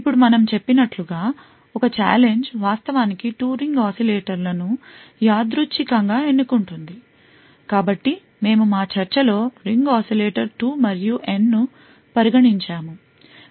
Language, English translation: Telugu, Now as we mentioned, what is done is that a challenge would actually pick 2 ring oscillators at random, so we had considered in our discussion the ring oscillator 2 and N